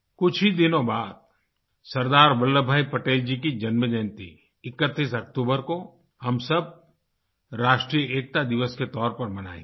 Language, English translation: Hindi, In a few days we will celebrate Sardar Vallabh Bhai Patel's birth anniversary, the 31st of October as 'National Unity Day'